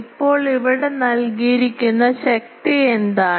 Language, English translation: Malayalam, So, now, what is the power given here